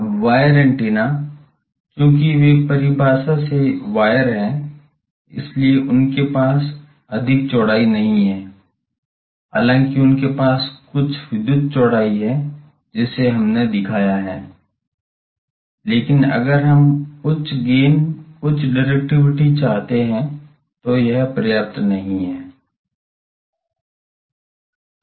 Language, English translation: Hindi, Now wire antenna, since they are by definition wire, so they do not have much width, though they have some electrical width that we have shown, but that is not sufficient if we want high gains, high directivity